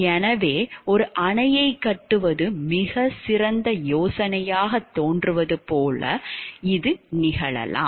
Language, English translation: Tamil, So, it may so happen like the building of a dam may appear to be very excellent idea